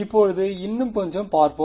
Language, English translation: Tamil, Now, let us look a little bit more